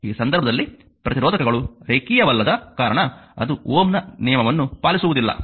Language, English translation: Kannada, Because resistors may be non linear in that case, it does not obey the your Ohm’s law